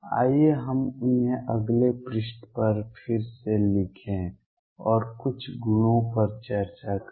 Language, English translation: Hindi, Let us rewrite them on the next page and discuss some of the properties